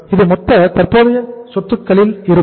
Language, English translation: Tamil, Total current assets will be how much